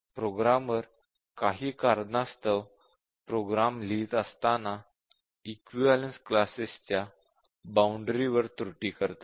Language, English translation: Marathi, The programmers for some reason while writing their program, commit errors at the boundary of the equivalence classes